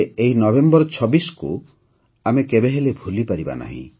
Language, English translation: Odia, But, we can never forget this day, the 26th of November